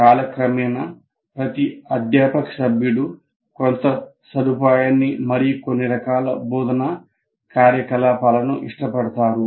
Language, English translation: Telugu, So what happens is each faculty member over a period of time will develop some facility and liking for some type of instructional activities